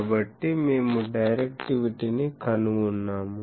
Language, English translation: Telugu, So, we have found out the directivity